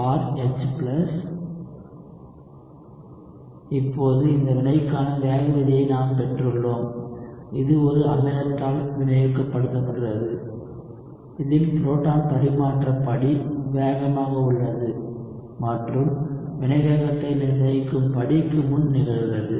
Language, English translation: Tamil, So, now, we have derived the rate law for this reaction, which is catalyzed by an acid in which the proton transfer step is fast and occurs before the rate determining step